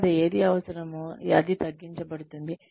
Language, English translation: Telugu, After, what is required is narrowed down